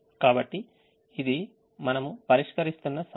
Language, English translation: Telugu, so this is the problem that we have been solving